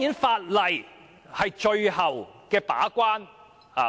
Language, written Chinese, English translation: Cantonese, 法例是最後一關。, Legislation is the last resort